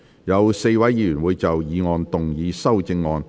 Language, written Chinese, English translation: Cantonese, 有4位議員會就議案動議修正案。, Four Members will move amendments to the motion